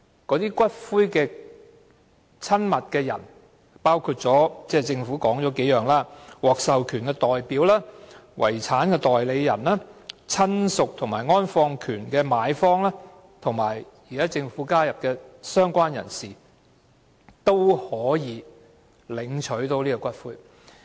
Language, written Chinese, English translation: Cantonese, 這時，與死者關係親密的人，包括政府所指的：獲授權代表、遺產代理人、親屬和安放權的買方，以及政府新加入的"相關人士"，均可要求領取骨灰。, In such events persons with a close relationship with the deceased person including those designated by the Government an authorized representative a personal representative or a relative or the purchaser of the interment right as well as a related person newly added by the Government may claim the ashes